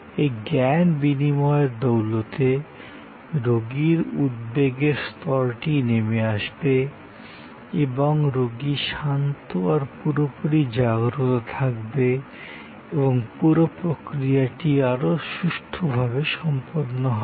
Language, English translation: Bengali, In that knowledge exchange, the anxiety level of the patient will come down and that the patient is calm and the patient is switched, on the whole the procedure will go much better